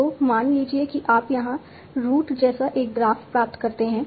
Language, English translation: Hindi, So suppose you obtain a graph like root here